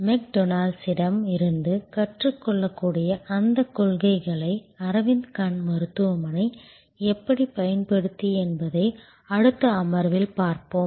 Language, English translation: Tamil, We will see in the next session how Aravind Eye Hospital used those principles that could be learned from McDonalds